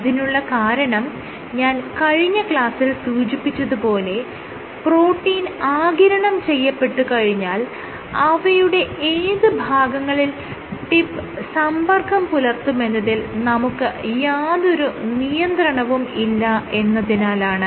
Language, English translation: Malayalam, And the reason for that I explained in last class was, when your protein is absorbed you have no control, where your tip hits the protein